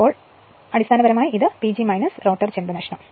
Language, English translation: Malayalam, So, basically it will be P G minus the rotor copper loss right